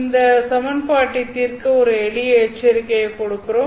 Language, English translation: Tamil, In this equation, you can make some simplifications